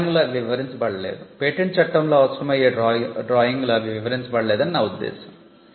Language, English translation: Telugu, Now, the in the drawing they are not described, I mean they are not explained in the drawing that is a requirement in patent law